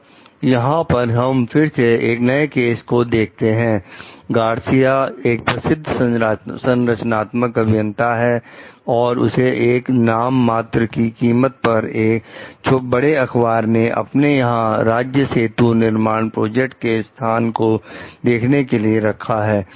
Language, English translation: Hindi, So, what we find over here is again a case: Garcia a renowned structural engineer is hired for a nominal sum by a large city newspaper to visit the site of a state bridge construction project